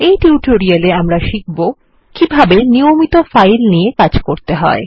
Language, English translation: Bengali, In this tutorial we will see how to handle regular files